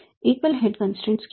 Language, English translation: Hindi, What is the single head constraint